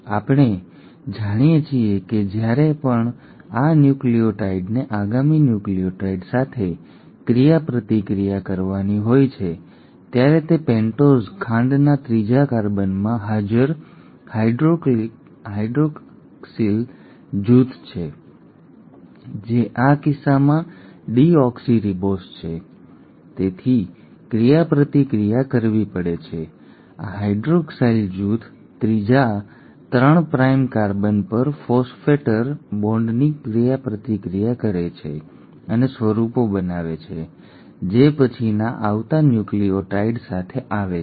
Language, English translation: Gujarati, Now we know that every time this nucleotide has to interact with the next incoming nucleotide, it is the hydroxyl group present in the third carbon of the pentose sugar which is deoxyribose in this case, has to interact; this hydroxyl group at the third, 3 prime carbon, interacts and forms of phosphodiester bond, with the next incoming nucleotide